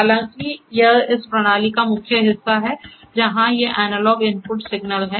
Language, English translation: Hindi, Right However, this is the main part of this system, where these are the analog input signals